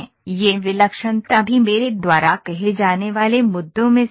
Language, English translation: Hindi, This singularity is also one of the issue I would say